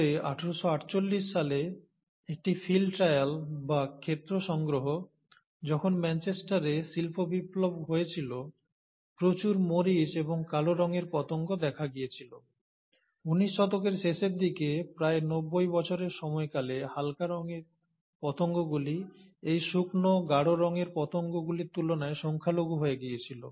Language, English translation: Bengali, But a field trial, or a field collection in 1848, around the time when the industrial revolution was taking place in Manchester, a lot of peppered and black coloured moths were observed, and by the end of that nineteenth century, in a period of about ninety years, the light coloured moths was totally outnumbered by these dry, dark coloured moths